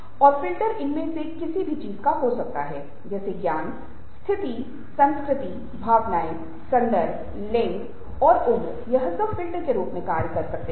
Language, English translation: Hindi, things like knowledge, status, culture, emotions, context, gender, age all this can act as filters